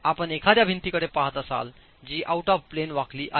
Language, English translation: Marathi, If you are looking at a wall that is subjected to out of plane bending